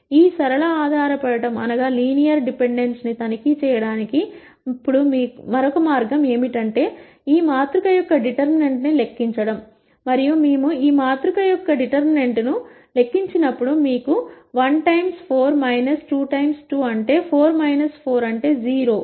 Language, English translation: Telugu, Now another way to check this linear dependence is to calculate the determinant of this matrix, and when we calculate the determinant of this matrix, you will get 1 times 4 minus 2 times 2, which is 4 minus 4 which is 0